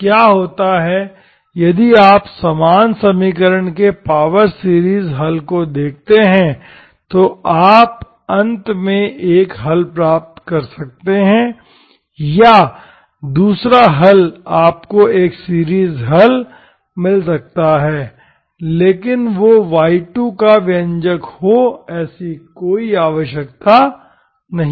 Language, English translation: Hindi, So what happens, if you look at the power series solution to the same equation, you may end up getting one solution may be same, or the other solution you may get a series solution but that need not be expression for y2 you get here